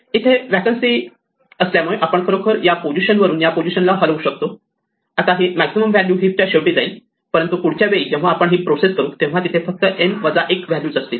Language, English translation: Marathi, Since there is a vacancy here we can actually move this to this position, the maximum value will now go to the end of the heap, but the next time we process the heap there will be only n minus one values